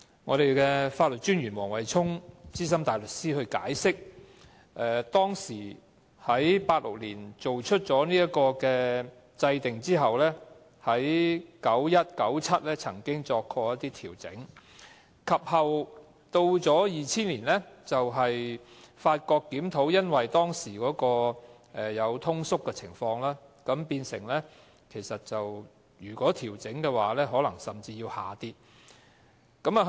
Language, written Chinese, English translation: Cantonese, 我剛才聽到法律政策專員黃惠沖資深大律師解釋，自從1986年制定條例後，在1991年和1997年曾經進行調整，及後在2000年檢討時，發覺當時出現通縮情況，如果要調整款額，金額水平甚至可能要下降。, As I heard just now from the Solicitor General Mr Wesley WONG SC the bereavement sum was adjusted two times after the enactment of the Ordinance in 1986 one in 1991 and the other in 1997 . Then during the review in 2000 it was noticed that due to the effect of deflation the sum might even have to be reduced if an adjustment was to be made